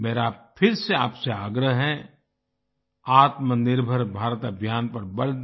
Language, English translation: Hindi, I again urge you to emphasize on Aatma Nirbhar Bharat campaign